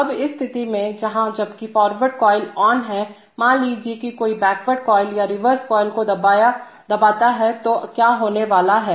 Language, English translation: Hindi, Now in this position, where, while the forward coil is on, suppose somebody presses the backward coil or the reverse coil what is going to happen